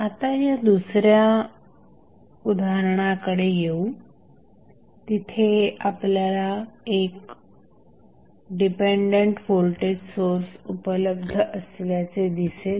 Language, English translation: Marathi, So, now, let us come to the another example, where you will see there is 1 dependent voltage source available